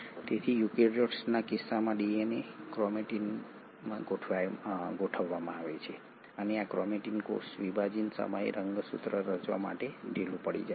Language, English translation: Gujarati, So the DNA in case of eukaryotes is organised into chromatins, and this chromatin will loosen up to form chromosomes at the time of cell division